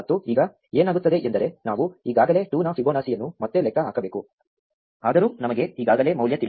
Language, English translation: Kannada, And now what happens is we end up having to compute Fibonacci of 2 again, even though we already know the value